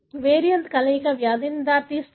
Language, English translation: Telugu, A combination of variant could result in a disease